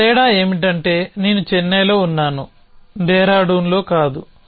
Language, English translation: Telugu, So difference one difference is that I am in Chennai not in Dehradun